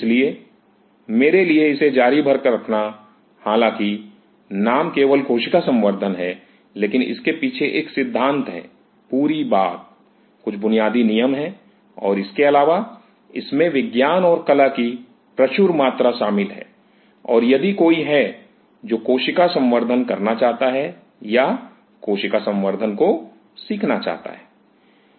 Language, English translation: Hindi, So, for me to put it across is though the name is just cell culture, but there is a philosophy behind this, whole thing, there are some basic rules and moreover, there is tremendous amount of science and art involved in it and if somebody who wants to do cell culture or wants to learn cell culture